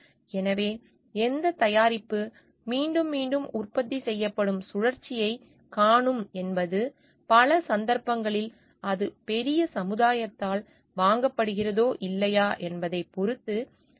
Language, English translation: Tamil, So, which product will be seeing the repeat cycle of getting produced again depends in many cases on whether it is being bought by the greatest society at large or not